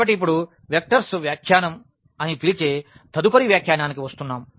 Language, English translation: Telugu, So, now coming to the next interpretation which we call the vectors interpretation